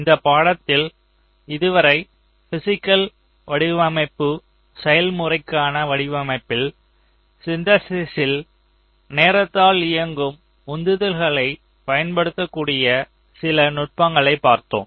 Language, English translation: Tamil, so in this ah course we have seen so far some of the techniques where you can ah use the timing driven constraints in synthesis in the design flow for the physical design process